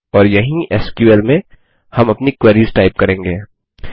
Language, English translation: Hindi, and this is where we will type in our queries in SQL